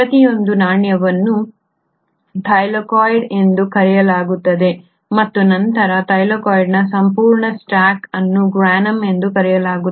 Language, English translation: Kannada, Each coin will be called as the Thylakoid and then the entire stack of Thylakoid will be called as the Granum